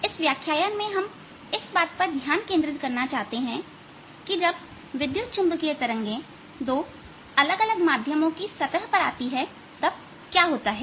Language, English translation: Hindi, in this lecture is what happens when electromagnetic waves come at a boundary between two different medium